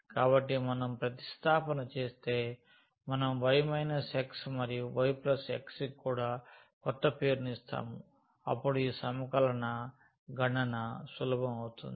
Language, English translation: Telugu, So, if we substitute, we give a new name to y minus x and also to y plus x then perhaps this integral will become easier to compute